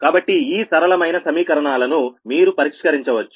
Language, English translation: Telugu, so these three equation, linear equations